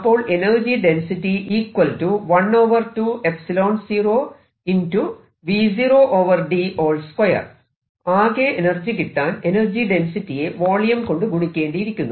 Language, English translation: Malayalam, if that is the energy density density, the total energy comes out to be this energy density integrated over the entire volume